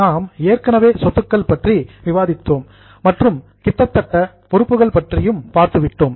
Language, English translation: Tamil, Within that we have already discussed asset and almost completed the liability